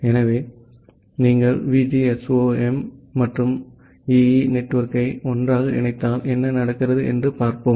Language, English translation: Tamil, So, if you combine VGSOM and EE network together, let us see what happens